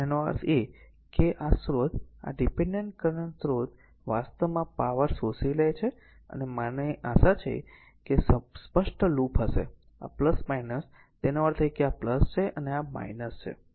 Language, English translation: Gujarati, That means, this source this dependent current source actually absorbing power I hope you are understanding will be clear loop this is plus minus; that means, this is plus, this is minus